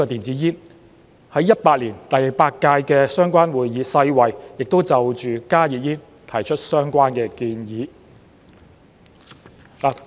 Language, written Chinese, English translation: Cantonese, 在2018年第八屆的相關會議上，世衞亦就加熱煙提出相關的建議。, In the eighth session held in 2018 WHO proposed the relevant proposals for HTPs